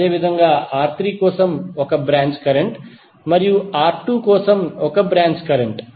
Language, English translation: Telugu, Similarly, 1 branch current for R3 and 1 branch current for R2